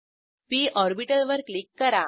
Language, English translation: Marathi, Click on the p orbital